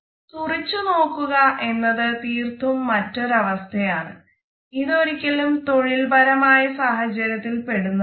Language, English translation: Malayalam, Staring on the other hand is an absolutely different affair; it is never a part of our professional setup